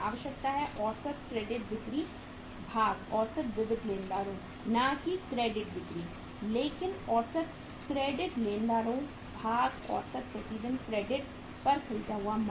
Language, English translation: Hindi, The requirement is average credit sales divided by the average sorry average uh sundry creditors not credit sales but average sundry creditors divided by the average credit purchased per day